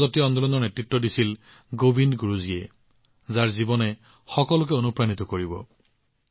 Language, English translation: Assamese, This tribal movement was led by Govind Guru ji, whose life is an inspiration to everyone